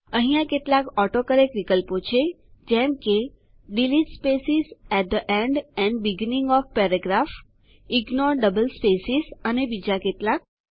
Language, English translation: Gujarati, There are several AutoCorrect options like Delete spaces at the end and beginning of paragraph, Ignore double spaces and many more